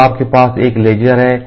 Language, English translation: Hindi, So, you have a laser